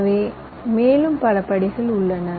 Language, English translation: Tamil, ok, so, and there are many other step